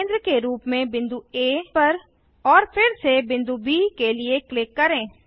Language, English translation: Hindi, Mark a point A as a centre and click again to get B